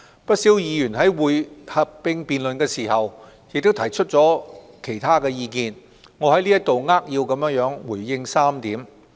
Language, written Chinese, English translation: Cantonese, 不少議員在合併辯論亦提出了其他意見，我在此扼要回應3點。, During the joint debate many Members have given other views and here I will respond briefly to three points